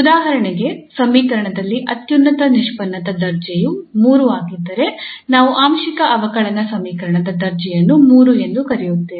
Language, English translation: Kannada, So for instance, in the equation if the order of the highest derivative is 3 then the order of the partial differential equation we call as 3